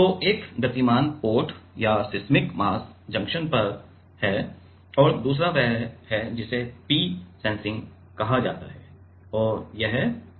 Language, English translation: Hindi, So, one is on the moving part or the seismic mass junction and another is the what is called this is P sensing and this is P reference